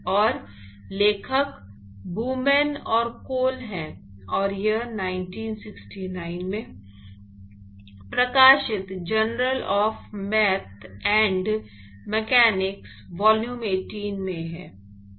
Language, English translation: Hindi, And the authors are blumen and Cole, and it is in the Journal of Math and Mechanics, volume 18 published in 1969